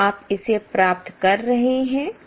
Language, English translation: Hindi, Are you getting it